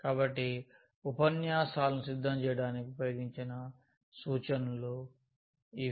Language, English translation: Telugu, So, these are the references used for preparing these lectures